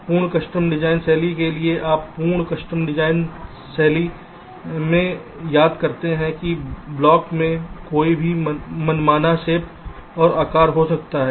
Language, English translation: Hindi, ah, for the full custom design style, you recall, in the full custom design style the blocks can have any arbitrate shapes and sizes